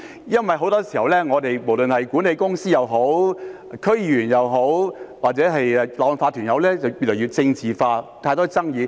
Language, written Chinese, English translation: Cantonese, 因為很多時候，無論管理公司也好，區議員也好，或者業主立案法團也好，越來越政治化，有太多爭議。, In many cases among management companies District Council members or owners corporations too many controversies arise as things are being increasingly politicized